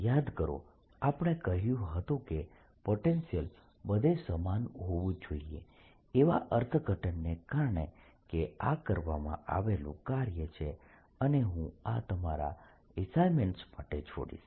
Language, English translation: Gujarati, remember we said potential should be the same everywhere because of the interpretation that this is the work done and i'll leave this is as an exercise and give it in the assessments for you to complete